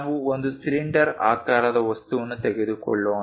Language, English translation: Kannada, Let us take a cylindrical object, this one